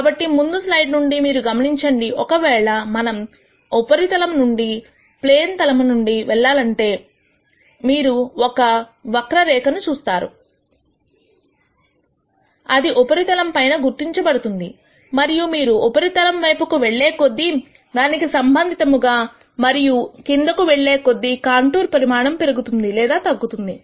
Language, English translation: Telugu, So, from the previous slide you would notice that if you were to pass a plane through the surface you would see a curve like this would be traced on the surface, and as you move the surface up and down the size of the contour will increase or decrease corre spondingly